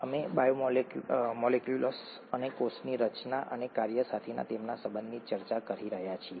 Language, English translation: Gujarati, We are discussing biomolecules and their relationship to cell structure and function